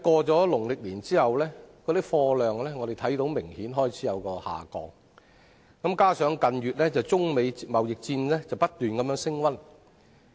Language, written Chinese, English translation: Cantonese, 但農曆年過後，我們觀察到貨運量明顯開始下降，而近日中美貿易戰亦不斷升溫。, However after the Lunar New Year we have noticed that cargo throughput has apparently started to fall amid rising prospects of a trade war between China and the United States